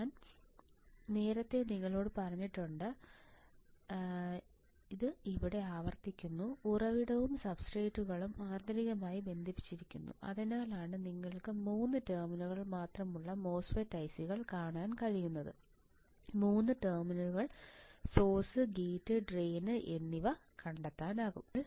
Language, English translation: Malayalam, I have told you earlier also I am repeating it here, source and substrates are connected internally that is why you will find MOSFET I cs with only 3 terminals, only 3 terminals source gate and drain ok